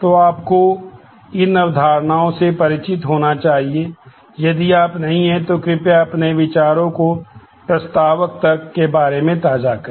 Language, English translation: Hindi, So, you should be familiar with these concepts; if you are not, please brush up your ideas about propositional logic